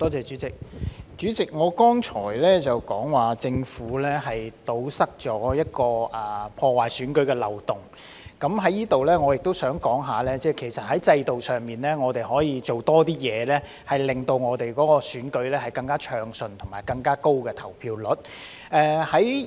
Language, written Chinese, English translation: Cantonese, 代理主席，我剛才說過政府堵塞了一個破壞選舉的漏洞，我在此也想談談，其實在制度上，我們可以多做一些工作，令選舉更加暢順，並提高投票率。, Deputy Chairman I have said just now that the Government has plugged a loophole that undermines the election . I would also like to say that in terms of institutional arrangements we can do more to make the election smoother and raised the voter turnout rate